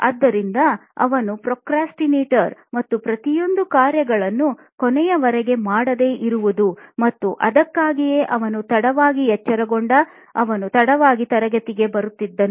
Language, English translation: Kannada, So he procrastinated and everything piled to the deadline and that's why he came late to class because he woke up late